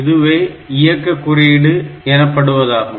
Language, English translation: Tamil, So, this is called the operation code